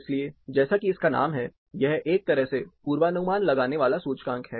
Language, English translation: Hindi, So, as the name says, it is a kind of predictive index